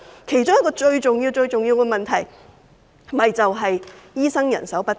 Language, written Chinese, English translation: Cantonese, 其中一個最重要的問題正是醫生人手不足。, One of the most crucial problems is precisely the shortage of doctors